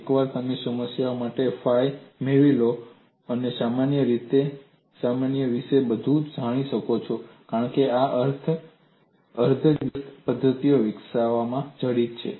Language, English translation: Gujarati, Once you get the phi for a problem, everything about the problem is known, because that is embedded in the development of this semi inverse method